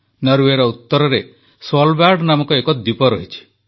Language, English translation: Odia, There is an island named Svalbard in the north of Norway